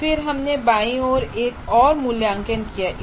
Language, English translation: Hindi, And then we have put another evaluate on the left side